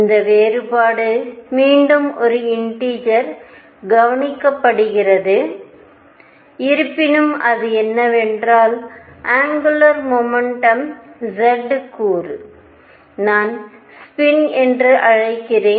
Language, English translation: Tamil, This difference again notice is by one integer; however, what it said was that z component of angular momentum which I will call spin